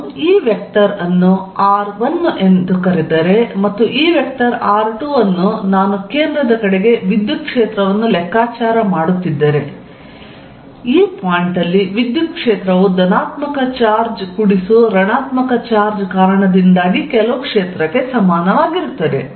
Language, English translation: Kannada, If I call this vector r1 and call this vector from the point where I am calculating the electric field towards the centre r2, then the electric field at this point is equal to some due to the field due to the positive charge plus that due to the negative charge